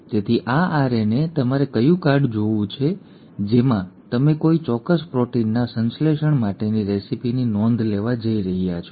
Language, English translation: Gujarati, So this RNA is like your cue card in which you are going to note down the recipe for the synthesis of a particular protein